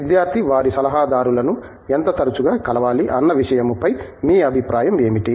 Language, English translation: Telugu, What is your, what is your opinion on you know how often a student should you know meet their advisers